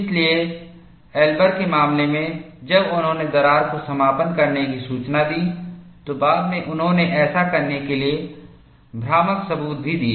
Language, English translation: Hindi, So, in the case of Elber, when he reported the crack closure, later he also provided fracto graphic evidence to show, such thing happens